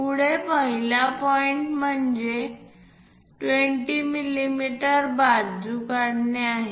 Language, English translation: Marathi, Further the first point is draw a 20 mm side